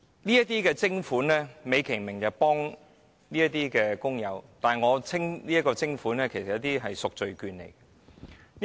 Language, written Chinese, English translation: Cantonese, 這項徵款美其名目的是協助工友，但我會稱之為贖罪券。, The levy is disguised as a measure to help the workers but I will call it a letter of indulgence